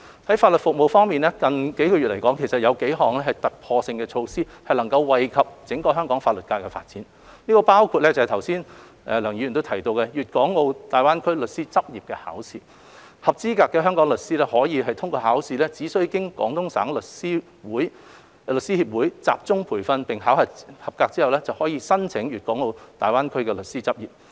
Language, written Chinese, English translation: Cantonese, 在法律服務方面，近月有幾項突破性的措施惠及整個香港法律界發展，包括剛才梁議員提到的"粵港澳大灣區律師執業考試"，合資格的香港執業律師在通過考試後只需經廣東省律師協會集中培訓並考核合格後，便可申請粵港澳大灣區律師執業。, In respect of legal services several ground - breaking measures have been introduced in recent months to benefit the development of the entire legal profession in Hong Kong including the GBA Legal Professional Examination mentioned by Dr LEUNG just now . Qualified legal practitioners in Hong Kong may apply for practice as lawyers in GBA upon passing the Examination and undergoing an intensive training course organized by the Guangdong Lawyers Association